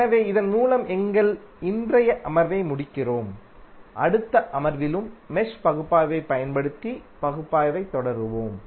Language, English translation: Tamil, So with this we close our today's session and we will continue the analysis using mesh analysis in the next session also